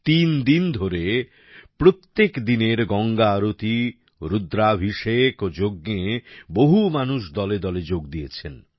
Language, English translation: Bengali, A large number of people participated in the Ganga Aarti, Rudrabhishek and Yajna that took place every day for three days